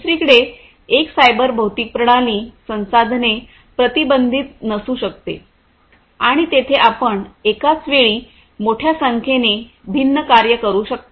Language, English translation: Marathi, On the other hand, a cyber physical system may not be resource constrained and there you know you can perform large number of different tasks at the same time